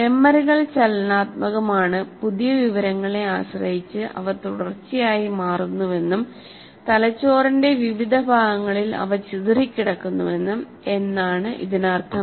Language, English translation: Malayalam, And as I said already, memories are dynamic, that means they constantly change depending on the new information and they are dispersed over the various parts of the brain